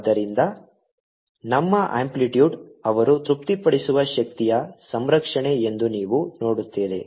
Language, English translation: Kannada, so you see that our amplitude are such that they also satisfy energy conservation